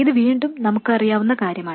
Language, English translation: Malayalam, This is again something that we know